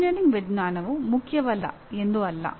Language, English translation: Kannada, It is not that engineering sciences are unimportant